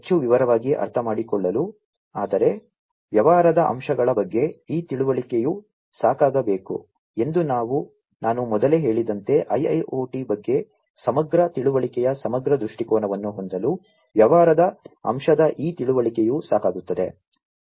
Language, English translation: Kannada, In order to understand in more detail, but as I said earlier as well that this understanding should be sufficient about the business aspects, these understanding of the business aspect should be sufficient, in order to have the holistic view of holistic understanding about IIoT